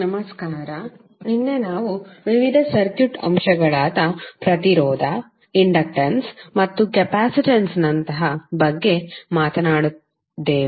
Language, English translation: Kannada, Namashkar, yesterday we spoke about the various circuit elements like resistance, inductance and capacitance